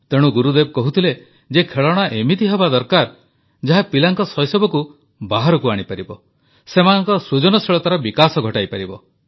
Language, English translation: Odia, Therefore, Gurudev used to say that, toys should be such that they bring out the childhood of a child and also his or her creativity